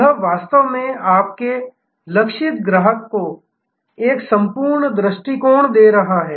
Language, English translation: Hindi, This is actually giving a whole view to your target customer